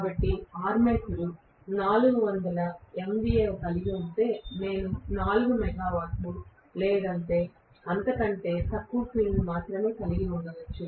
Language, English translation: Telugu, So if the armature is having 400 MVA I may have the field to be only about 4 megawatt or even less